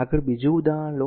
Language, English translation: Gujarati, Next take another example ah